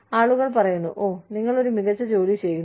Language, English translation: Malayalam, People say, oh, you are doing a fantastic job